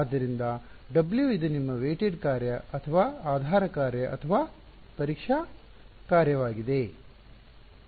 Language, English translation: Kannada, So, W for; so, this is your weight function or basis function or testing function